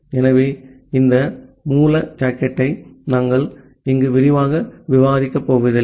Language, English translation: Tamil, So, we will not going to discuss this raw socket here in details